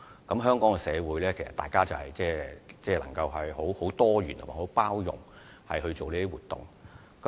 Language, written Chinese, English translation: Cantonese, 在香港社會，大家都能夠多元及包容地舉行活動。, In the society of Hong Kong people are able to organize activities in a diversified and accommodating manner